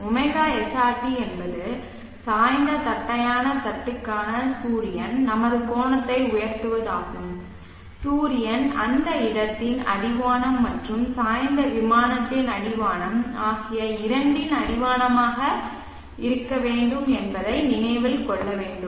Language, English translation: Tamil, SRT is the sun rise our angle for the tilted flat plate should remember that the sun should be the horizon of both the horizon of the place and the horizon of the tilted plane